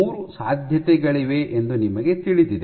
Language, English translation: Kannada, You know that there are 3 possibilities